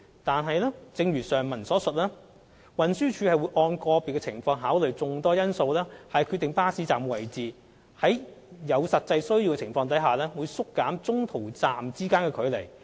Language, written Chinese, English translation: Cantonese, 然而，正如上文所述，運輸署會按個別情況考慮眾多因素以決定巴士站位置，在有實際需要情況下會縮減中途站之間的距離。, Nevertheless as mentioned above TD will take into account various factors on a case - by - case basis to determine the location of a bus stop and the spacing between en - route bus stops will be reduced as actual needs arise